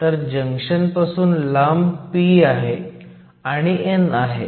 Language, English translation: Marathi, So, far away from junction, I have a p, and I have an n